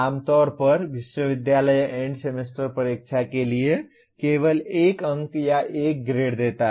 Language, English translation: Hindi, Generally university gives only one mark or one grade for the End Semester Exam